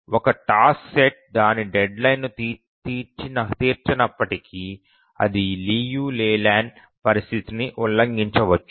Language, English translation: Telugu, Even if a task set is will meet its deadline but it may violate the Liu Leyland condition